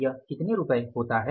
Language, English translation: Hindi, How it is rupees 4